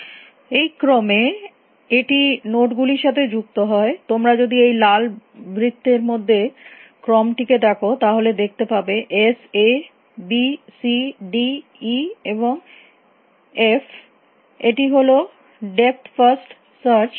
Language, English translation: Bengali, It the order in which it is visiting you nodes, if you look at the order inside this red circle you can that s a b c d e f s a b c d e f this is the order of depth first search